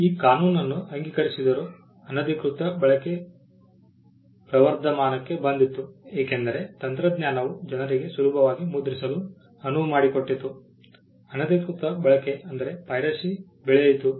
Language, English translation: Kannada, Despite passing this law piracy flourished there were instances because of the technology that allowed people to print easily piracy flourished